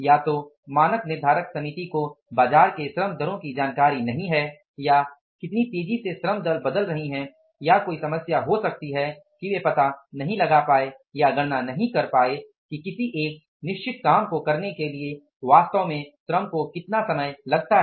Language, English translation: Hindi, Either the standard setting committee is not aware about the labor rates in the market or how fastly the labor rates are changing or there could be a problem that they are not able to find out or to calculate that for performing a certain amount of the work, how much time is actually expected to be taken by the labor